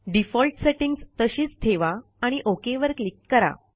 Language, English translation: Marathi, So we keep the default settings and then click on the OK button